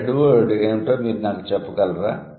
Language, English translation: Telugu, Can you tell me what is the head word here